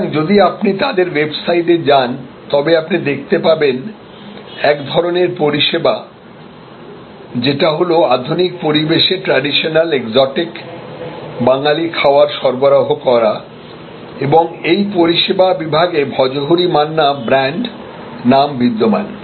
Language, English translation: Bengali, So, if you go to their website you will see that with the same kind of service, which is offering traditional exotic Bengali cuisine in modern ambience existing brand name Bhojohori Manna existing service category